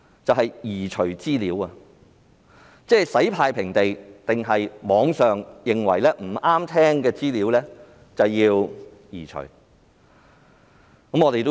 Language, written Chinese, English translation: Cantonese, 刪除資料好像洗"太平地"一樣，他們或會認為某些網上資料不中聽有需要移除。, The removal of information is just like a cleansing operation as the Police may think that it is necessary to remove some online information which they dislike